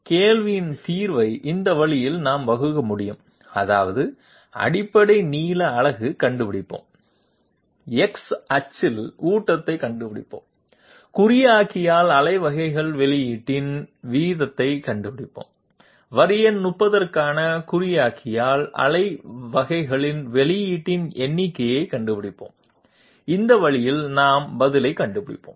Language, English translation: Tamil, We can formulate the problem solution this way that is we will find out the basic length unit, we will find out the feed along the X axis, we will find out the rate of pulses output by the encoder and we will find out the number of pulses output by the encoder for line number 30 and that way we will solve the problem